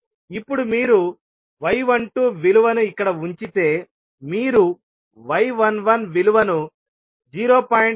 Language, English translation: Telugu, Now, if you put the value of y 12 here, you will get simply the value of y 11 as 0